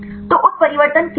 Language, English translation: Hindi, So, what is mutation